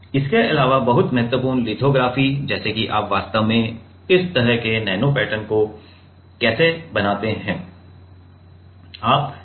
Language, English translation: Hindi, Also very important lithography like how do you make actually this kind of nano patterns right